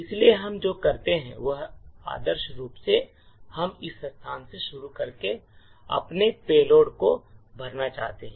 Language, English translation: Hindi, So, what we do is ideally we would like to fill our payloads starting from this location